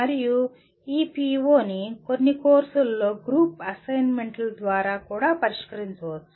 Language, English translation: Telugu, And this PO can also be addressed through group assignments in some courses